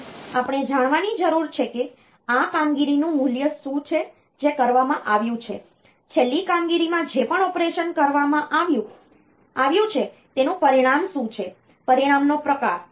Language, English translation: Gujarati, So, we need to know what is the value of this operation that has been done, in the last operation whatever operation has been done, what is the result of that the type of the result